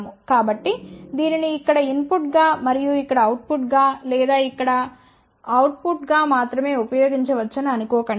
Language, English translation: Telugu, So, do not think that this can be only used as input here and output here or output here